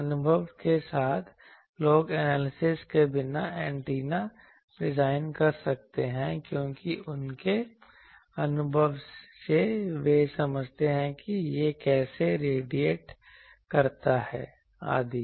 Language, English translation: Hindi, With experience people can design antennas without analysis because, by their experience they understand how it radiates etc